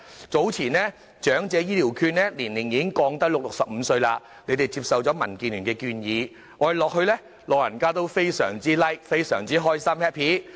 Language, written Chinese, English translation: Cantonese, 早前長者醫療券的受惠年齡已降至65歲，政府接受了民建聯的建議，老人家都表示非常開心。, The Government accepted DABs proposal and lowered the eligible age for Elderly Health Care Voucher to 65 and the old people were very happy about this